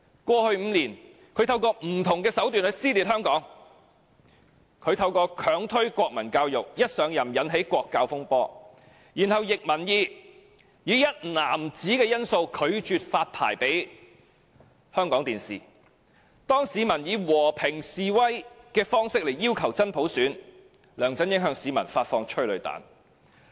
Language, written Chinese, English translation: Cantonese, 過去5年，他透過不同的手段去撕裂香港：透過強推國民教育，一上任便引起國教風波；然後，他逆民意而行，以"一男子"因素拒絕發牌予香港電視；當市民以和平示威方式要求真普選，梁振英向市民發射催淚彈。, In the last five years he has been stirring up dissension in Hong Kong through various means he forcefully introduced national education igniting the national education controversy once he took office; then he acted against public opinions to refuse to grant a licence to Hong Kong Television Network Limited because of the factor of one single man; while people were asking for genuine universal suffrage in a peaceful demonstration LEUNG Chun - ying fired tear gas at them